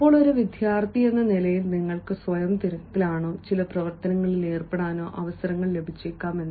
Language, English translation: Malayalam, as a student, you might have got chances to make yourself busy or to involve yourself in certain activities